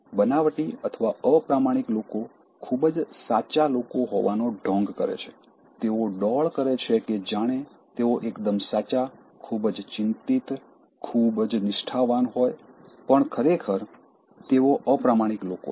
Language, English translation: Gujarati, Fake people or dishonest but pretend to be very genuine people, they put the guys as if they are very genuine, very concerned, very sincere, but actually, they are dishonest people